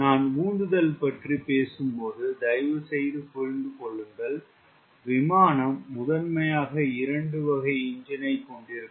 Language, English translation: Tamil, when i talk about thrust, please understand the aircraft primarily will be covering having two types of engine